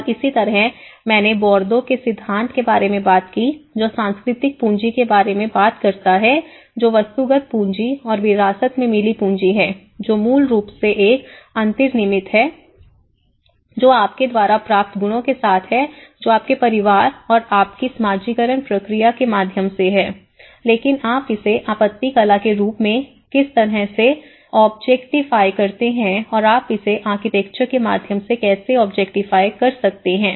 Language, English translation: Hindi, And similarly, I spoke about the Bourdieu’s theory which talks about the cultural capital which is the inherited capital, the objectified capital and the institutional capital inherited which is basically, an inbuilt with what the qualities you achieve from your family and through your socialization process, but in objectified how you objectify in the form of art and how you can objectify through the architecture